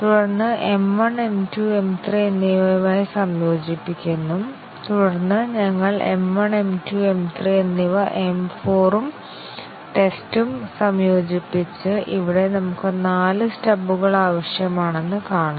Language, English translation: Malayalam, And then integrate M 1 with M 2 and M 3, and then we integrate M 1, M 2, M 3 with M 4 and test and here see we need four stubs